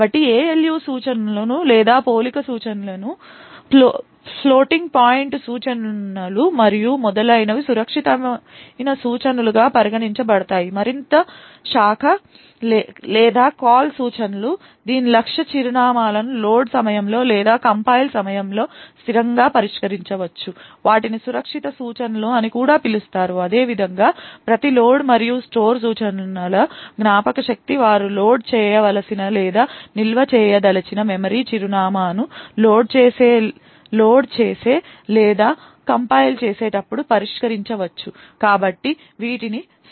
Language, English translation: Telugu, So instructions such as the ALU instructions or comparison instructions, floating point instructions and so on are considered as safe instructions further branch or call instructions whose target addresses can be resolved statically that is at load time or at compile time they are also called safe instructions similarly every load and store instruction whose memory address the memory address which they want to load or store can be resolved at the time of loading or compiling so these are also called as safe instructions